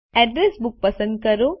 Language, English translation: Gujarati, Select Address Books